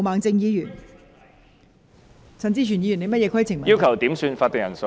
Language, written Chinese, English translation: Cantonese, 代理主席，我要求點算法定人數。, Deputy President I request a headcount